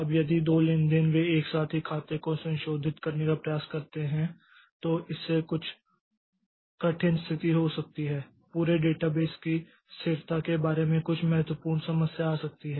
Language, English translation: Hindi, Now if two transactions they try to modify same account simultaneously then that may lead to some difficult situation some critical problem may come up about the consistency of the whole database